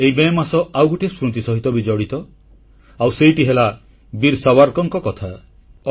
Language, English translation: Odia, Memories of this month are also linked with Veer Savarkar